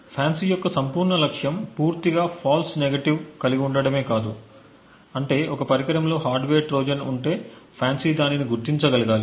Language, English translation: Telugu, The entire aim of FANCI is to completely have no false negatives, which means that if a hardware Trojan is present in a device a FANCI should be able to detect it